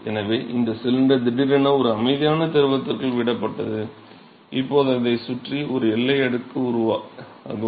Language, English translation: Tamil, So, that let say that this cylinder is suddenly dropped inside a quiescent fluid and now you will have a boundary layer which is formed around it